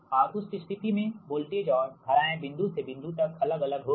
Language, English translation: Hindi, right, so that means at every point that voltage and current will vary from point to point